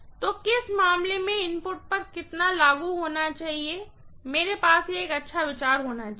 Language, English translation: Hindi, So in which case how much should apply from the input side, I should have a fairly good idea